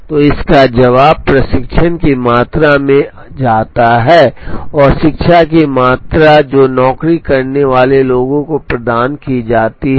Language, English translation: Hindi, So, the answer to that comes in the amount of training, and the amount of education that is provided to the people who do the job